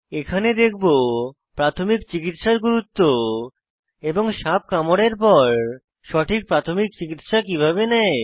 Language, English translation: Bengali, Here comes the importance of knowing the first aid in case of a snake bite